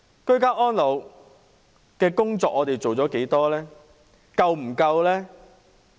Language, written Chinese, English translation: Cantonese, 居家安老的工作做了多少呢？, How much effort has been exerted in this area?